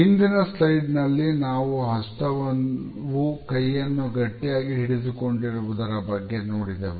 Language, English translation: Kannada, In the previous slide we have referred to a hand gripping the arm